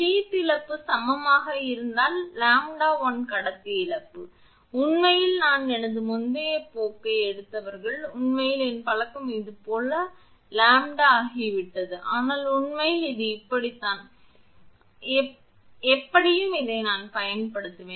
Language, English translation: Tamil, If sheath loss is equal to say, lambda 1 into conductor loss; actually I those who have taken my previous course, actually my habit has become lambda like this, but actually it is like this, but anyway throughout this I will use this